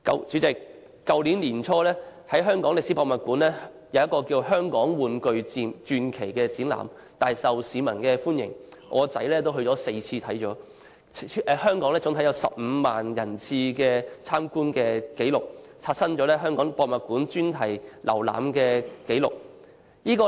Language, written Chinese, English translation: Cantonese, 主席，去年年初，在香港歷史博物館舉行的"香港玩具傳奇"展覽，大受市民歡迎，我兒子參觀該展覽4次，超過15萬人次參觀展覽，刷新了香港歷史博物館專題展覽參觀人次的紀錄。, President early last year the Legend of Hong Kong Toys exhibition held at the Hong Kong Museum of History was very well received by the public and my son visited the exhibition four times . The exhibition attracted more than 150 000 attendance and broke the attendance record of special exhibition at the Hong Kong Museum of History